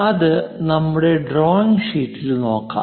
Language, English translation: Malayalam, Let us look at that on the graph sheet